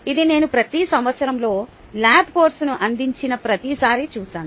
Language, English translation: Telugu, this i have seen in every single year, every single time i have offered the lab course